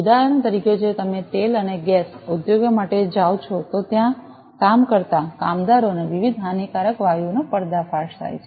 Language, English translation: Gujarati, For example, if you go for oil and gas industry the workers working there are exposed to different harmful gases